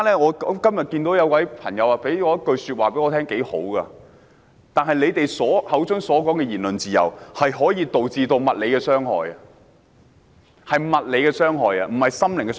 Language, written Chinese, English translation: Cantonese, 我今天遇到一位朋友，他的話很有道理：他們口中的言論自由可以導致物理傷害，是物理傷害，不是心靈傷害。, I met a friend today whose remarks really make sense Their so - called freedom of speech can cause physical harm not merely emotional harm